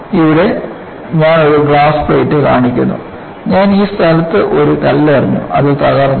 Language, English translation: Malayalam, Here, I am showing a glass plate, I have just thrown a stone in this place, it will break